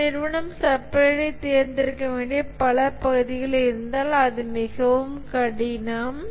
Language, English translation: Tamil, And also if multiple areas an organization had to select supplier, it was very difficult